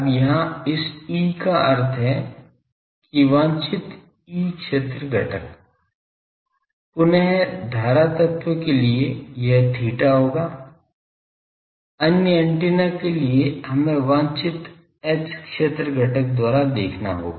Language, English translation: Hindi, Now, here this E means that desired E field component; again for current element this will be theta, for other antennas we will have to see by desired H field component